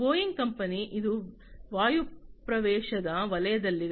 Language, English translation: Kannada, Boeing company Boeing again, it is in the airspace sector